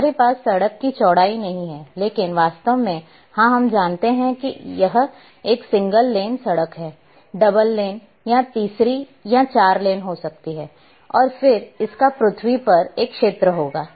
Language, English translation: Hindi, That these we cannot have the width of the road, but in reality yes we know that a road might be single lined, double lane, third or four lane then it will have an area on the earth